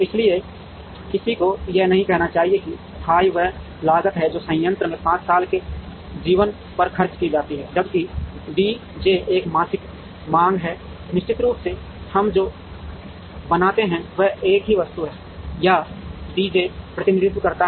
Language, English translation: Hindi, So, one should not say that f i is the cost that is incurred over a 5 year life of the plant whereas, D j is a monthly demand, the assumption of course, what we make is there is a single item or D j represents the demand of an equivalent single item